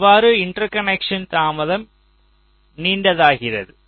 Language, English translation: Tamil, that will be a interconnection delay